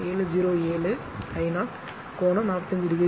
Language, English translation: Tamil, 7 07 I 0 angle 45 degree right